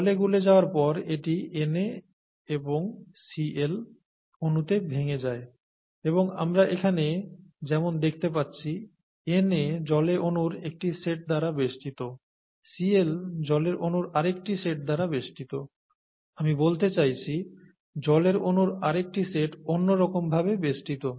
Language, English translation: Bengali, And when it is dissolved in water it splits up into its ions Na and Cl and as you can see here, Na gets surrounded by a set of water molecules, Cl gets surrounded by another set of water molecules I mean another set of water molecules oriented differently